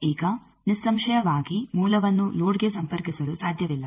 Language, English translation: Kannada, Now; obviously, source cannot connect to a load